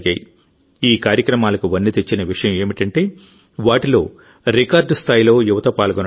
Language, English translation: Telugu, The beauty of these events has been that a record number of youth participated them